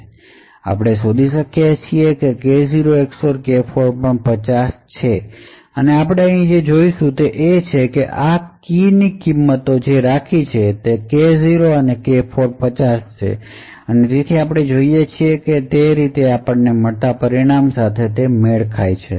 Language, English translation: Gujarati, So thus we can infer that K0 XOR K4 would be equal to 50 and if we go back to what we have kept the values of these keys we have K0 and K4 is 50 and thus we see it matches the results that we obtain